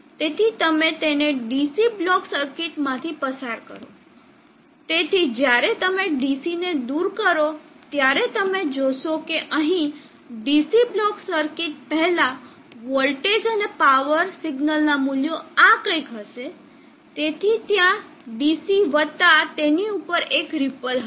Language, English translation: Gujarati, So you pass it through a DC block circuit, so when you remove the DC, so you will see that here before the DC block circuit the values of the voltage and power signal will be something like this, so there will be a DC plus on that there will be a ripple